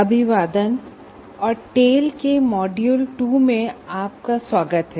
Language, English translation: Hindi, Greetings and welcome to module 2 of tale